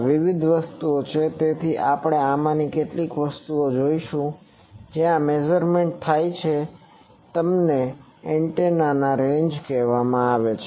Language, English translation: Gujarati, So, these are various things so we will see some of these the first one where the measurements are takes place they are called Antenna Ranges